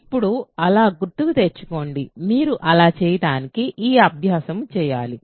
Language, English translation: Telugu, So, now recall so, this exercise for you to do so, you have to do this